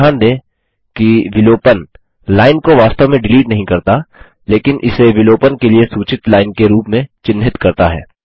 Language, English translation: Hindi, Note that the deletion does not actually delete the line, but marks it as a line suggested for deletion